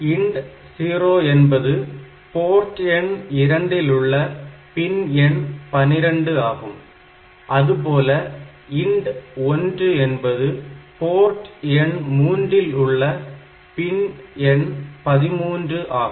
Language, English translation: Tamil, So, INT 0 is pin number 12 of port number 2 and pin number INT 1 is pin number 13 of what is bit number 3